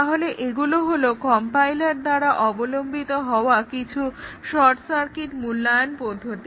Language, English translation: Bengali, So, these are the short circuit evaluation; some of the short circuit evaluation techniques adopted by compilers